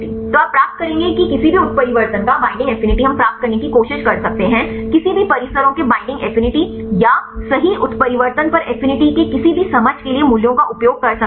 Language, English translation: Hindi, So, you will get you will get the binding affinity of any mutations we can try to used has values for any understanding the binding affinity of any complexes or the affinity of on mutations right